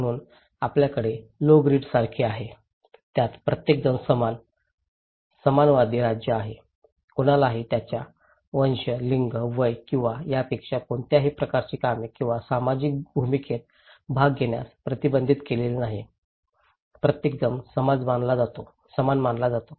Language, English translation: Marathi, So, we have like low grid where everybody is equal, egalitarian state of affairs, no one is prevented to participate in any kind of activities or social role depending irrespective of their race, gender, age or so forth, everybody is considered to be equal